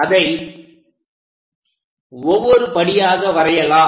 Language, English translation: Tamil, Let us construct that step by step